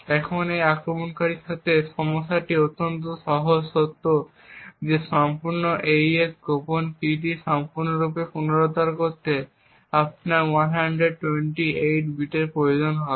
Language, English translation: Bengali, Now the problem with this attacker is extremely simple is the fact that you would require 128 bits to completely recover the entire AES secret key